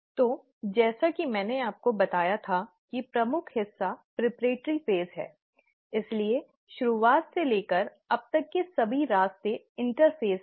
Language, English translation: Hindi, So, the major part as I told you is the preparatory phase, so all the way from the beginning till here is the interphase